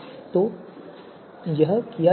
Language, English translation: Hindi, So let us run this